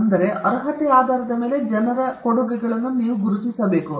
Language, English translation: Kannada, So, you have to recognize contributions of people based on the merit